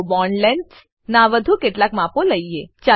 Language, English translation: Gujarati, Lets do some more measurements of bond lengths